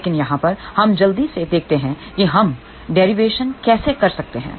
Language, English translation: Hindi, But over here, let us quickly see how we can do the derivation